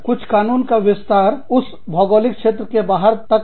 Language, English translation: Hindi, Some laws, extend across the boundaries, of that geographical region